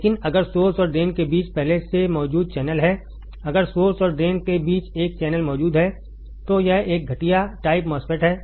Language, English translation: Hindi, But if there is already existing channel between the source and drain, if there is a channel existing between source and drain then it is a depletion type MOSFET